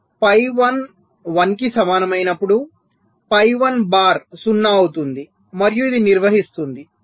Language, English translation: Telugu, so when phi one equal to one, phi one bar will be zero and this will be conducting